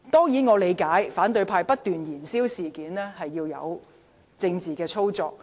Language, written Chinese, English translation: Cantonese, 以我理解，反對派不斷燃燒事件，只是政治操作。, As far as my understanding goes it is just political jockeying for the opposition camp to keep adding fuel to the flame